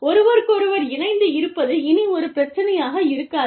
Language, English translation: Tamil, Connection with each other, is no longer a problem